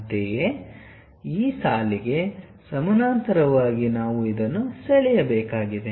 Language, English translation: Kannada, Similarly, parallel to this line we have to draw this one